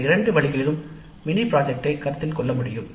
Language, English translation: Tamil, So it is possible to consider the mini project in either of these two ways